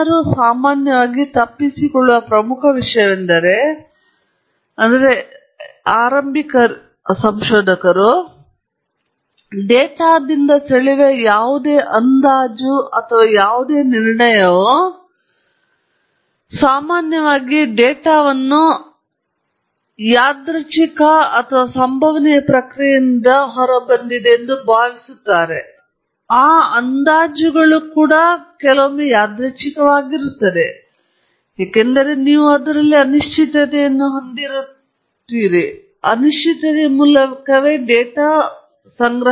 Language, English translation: Kannada, The most important thing that people often miss out on that is beginners is that any estimate or any inference that I draw from data and typically lot of data is assumed to come out of random or a stochastic process; those estimates are inferences are also random in nature, because you are putting through data which has uncertainty in it